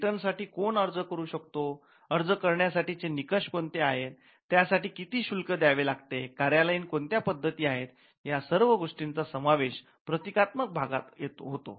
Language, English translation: Marathi, Now, who can file a patent, what should be the criteria for an applicant, what should be the fees that should be paid, what are the administrative methods by which you can intervene in the patent office, these are all procedural aspects of the patent system